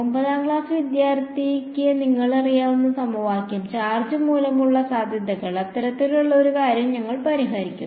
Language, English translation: Malayalam, The equation for which you know a class 9th student can tell you , potential due to a charge that that kind of a thing and then we will solve it